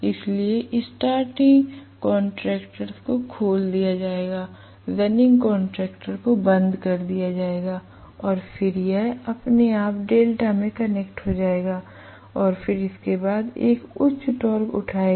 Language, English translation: Hindi, So starting contactors will be opened out, running contactors will be closed and then it will become connected automatically in delta and then you know it will pick up a higher torque after that right